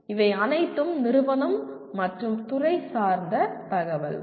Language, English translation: Tamil, It is all institutional and departmental information